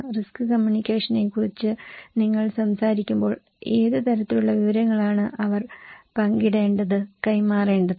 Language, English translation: Malayalam, When you are talking about risk communication, what kind of information they should share, exchange